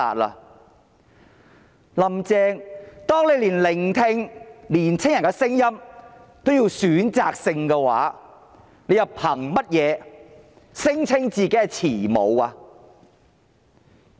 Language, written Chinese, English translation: Cantonese, "林鄭"，當你連聆聽年輕人的聲音也是選擇性的話，你憑甚麼聲稱自己是慈母？, Carrie LAM when you are selective even in listening to the voices of the young people on what ground can you say that you are a loving mother?